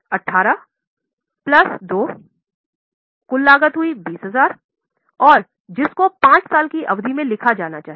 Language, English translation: Hindi, 18 plus 2, the total cost is 20 to be return of over a period of 5 years